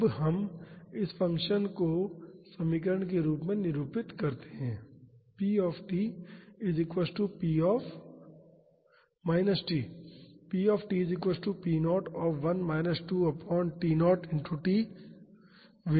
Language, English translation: Hindi, Now we can represent this function as a equation